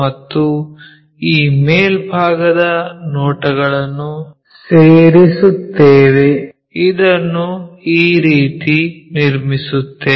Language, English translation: Kannada, And, we join this top views, this is the way we construct it